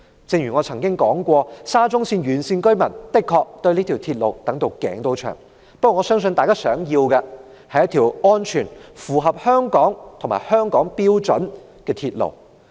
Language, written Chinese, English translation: Cantonese, 正如我曾經說過，沙中線沿線居民的確對這條鐵路期待已久。不過，我相信大家想要的是一條安全、符合香港標準的鐵路。, As I have said residents along SCL are indeed longing for this railway but I believe they actually want a railway that is safe and up to Hong Kong standards